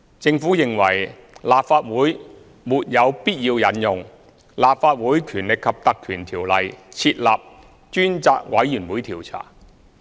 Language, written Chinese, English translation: Cantonese, 政府認為立法會沒有必要引用《立法會條例》設立專責委員會調查。, The Government considers it unnecessary for the Legislative Council to invoke the Legislative Council Ordinance to establish a select committee to inquire into the incident